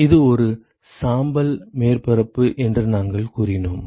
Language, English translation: Tamil, We also said it is a gray surface